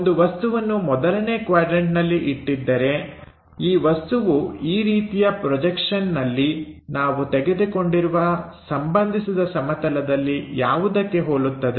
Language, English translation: Kannada, If an object is placed in that 1st quadrant, this object the kind of projection what it maps onto that plane, what we have called this reference plane